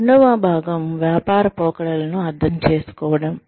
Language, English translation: Telugu, The second part is, understand the business trends